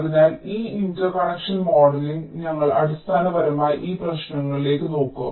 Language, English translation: Malayalam, so this interconnection modeling, we shall be looking basically into these issues